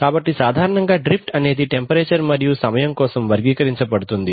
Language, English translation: Telugu, So typically drift is characterized for temperature and time